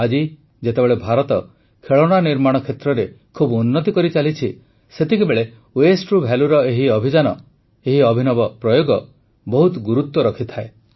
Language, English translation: Odia, Today, while India is moving much forward in the manufacturing of toys, these campaigns from Waste to Value, these ingenious experiments mean a lot